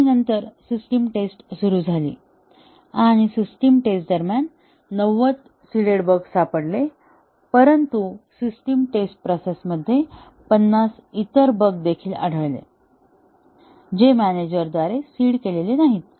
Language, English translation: Marathi, And then, the system testing started and during system testing, 90 of the seeded bugs were found out; but, in the system testing process, 50 other bugs were also found, which were not seeded by the manager